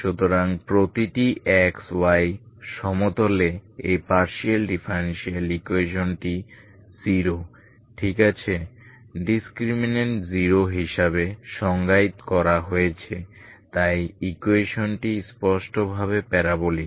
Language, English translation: Bengali, So for every X Y in the plane this partial differential equation is defined is 0 ok, discriminate is 0 so the equation is clearly parabolic